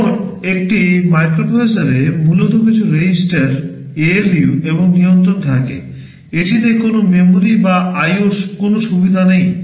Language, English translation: Bengali, Now, a microprocessor contains basically some registers, ALU and control; it does not contain any memory or any facility for IO